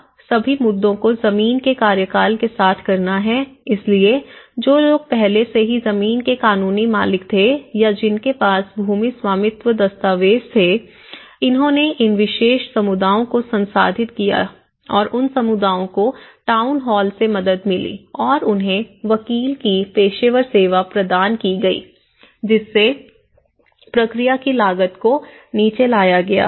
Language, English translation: Hindi, Now, the all issue to do with the land tenure so, the people who were already a legal owners of the land or had a land ownership documents so that, these particular communities have been processed and these communities have received help from the town hall and were provided with the professional service of lawyer which brought down the cost of the process